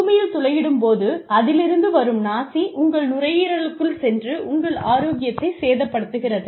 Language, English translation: Tamil, When there is drilling going on, all of this, the dust that comes in, gets into your lungs, and really damages your health